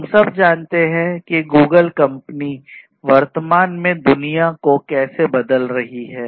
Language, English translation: Hindi, Take the company Google we all know how Google is transforming the world at present